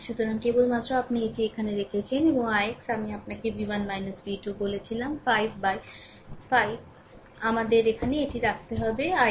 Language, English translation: Bengali, So, so, just you put it there and i x also I told you v 1 minus v 2 by 5 we have to put it here i x